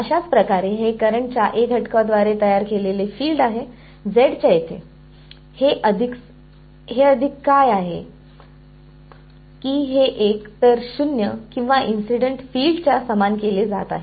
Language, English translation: Marathi, So, similarly this is the field produced by the current element A at some location z, this plus this is what is being made equal to either 0 or the incident field ok